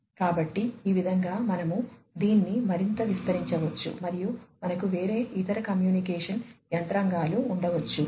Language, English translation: Telugu, So, like this you know you could even extend it even further and you could have different other communication, mechanisms in place